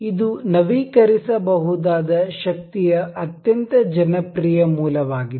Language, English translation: Kannada, This is a very popular source of renewable energy